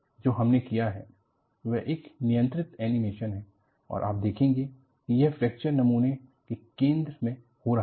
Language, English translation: Hindi, This is a controlled animation, which we have done and you find this fracture is happening at the center of the specimen